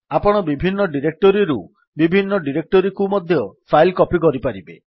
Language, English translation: Odia, You can also copy files from and to different directories